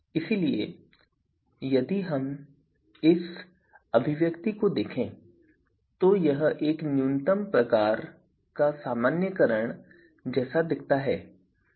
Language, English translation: Hindi, So, if we look at this expression this looks like a you know minmax kind of normalisation